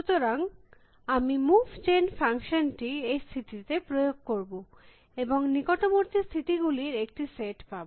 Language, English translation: Bengali, So, I will apply the move gen function to this state, I will get a set of neighboring states